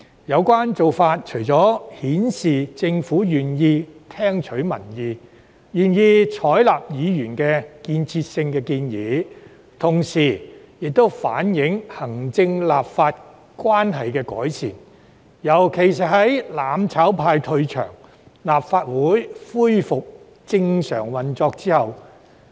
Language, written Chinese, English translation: Cantonese, 有關做法除了顯示政府願意聽取民意、採納議員提出的建設性建議，也反映出行政立法關係的改善，尤其是在"攬炒派"退場，立法會恢復正常運作後。, This has not only indicated the Governments willingness to listen to public opinions and accept constructive suggestions from Members but also reflected the improvements in the relationship between the executive authorities and the legislature especially after Members of the mutual destruction camp have left this legislature and the Legislative Council has resumed normal operations